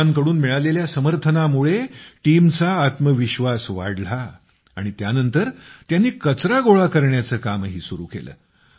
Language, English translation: Marathi, The confidence of the team increased with the support received from the people, after which they also embarked upon the task of collecting garbage